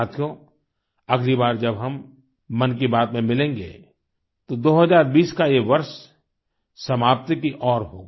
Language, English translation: Hindi, Friends, the next time when we meet in Mann Ki Baat, the year 2020 will be drawing to a close